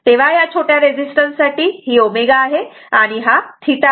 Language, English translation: Marathi, So, for very small resistance this this is your omega and this is theta